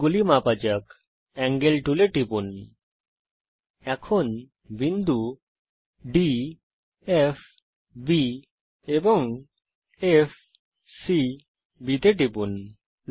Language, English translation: Bengali, Lets Measure the angles, Click on the Angle tool, click on the points D F B and F C B